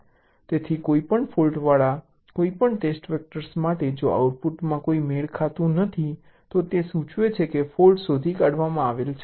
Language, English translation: Gujarati, so for any test vector with any fault, if there is a mismatch in the output it will indicate that fault is detected